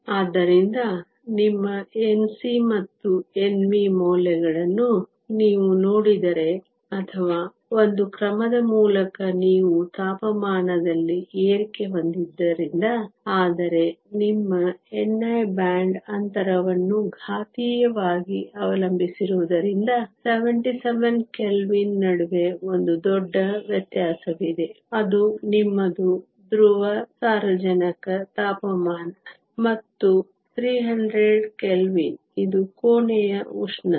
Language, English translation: Kannada, So, your N c and N v values if you look or of by one order of magnitude, simply because you have a rise in temperature, but because your n i depends exponentially on the band gap, there is a huge variation between 77 Kelvin, which is your liquid nitrogen temperature, and 300 Kelvin which is room temperature